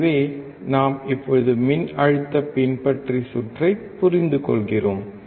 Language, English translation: Tamil, So, we are now understanding the voltage follower circuit